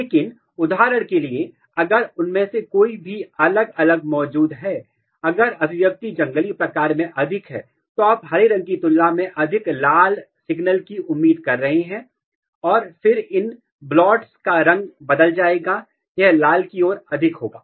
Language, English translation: Hindi, But if any one of them are differentially present for example, if expression is more in the wild type then you are expecting more red signal than the green and then the color of these spots will change, it will be more towards the red